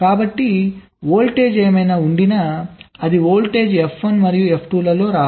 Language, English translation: Telugu, so whatever voltage should be there, same voltage should come in f one and f two